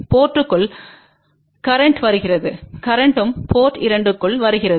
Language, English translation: Tamil, Current is coming into the port 1, and current is also coming into the port 2